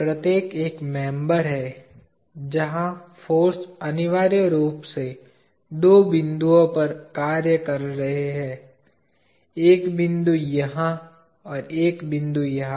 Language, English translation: Hindi, Each is a member, where the forces are acting essentially at two points, the point here and the point here